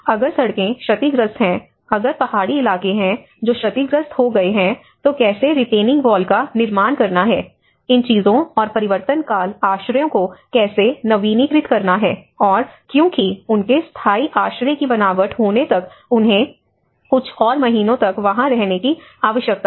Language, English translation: Hindi, If there are roads damaged, if there are hilly terrains which were damaged, so how to build retaining walls, how to renew these things and the transition shelters and because they need to stay for some more months until their permanent shelter is designed